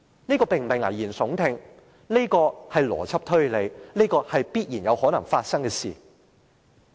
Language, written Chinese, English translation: Cantonese, 這並非危言聳聽，而是邏輯推理，是有可能會發生的事情。, These are not alarmist talks but are logical reasoning and these things could possibly happen